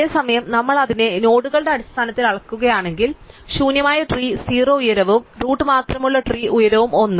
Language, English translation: Malayalam, Whereas, if we measure it in terms of nodes, then the empty tree has height 0 and the tree with only the root has height 1